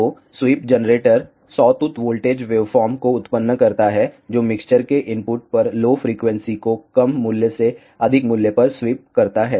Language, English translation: Hindi, So, the sweep generator generates a sawtooth voltage waveforms, which sweep the yellow frequency at the input of the mixtures from a lower value to a higher value